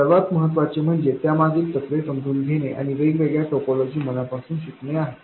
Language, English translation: Marathi, What is more important is to understand the principles behind them and not learn individual topologies by heart